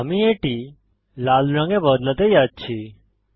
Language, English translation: Bengali, I am going to change it to red